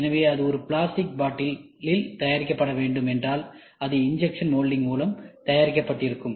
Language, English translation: Tamil, So, if this bottle has to be made it is a plastic bottle, so it will be made out of injection molding you made out of injection molding